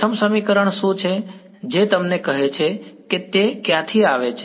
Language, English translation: Gujarati, What is the first equation telling you or rather where is it coming from